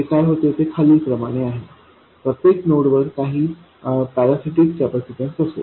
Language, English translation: Marathi, And every node there will be some parasitic capacitance